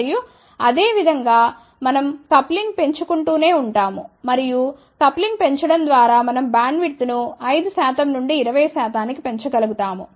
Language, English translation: Telugu, And, then similarly we keep on increasing the coupling and by increasing the coupling we are able to increase the bandwidth from 5 percent to 20 percent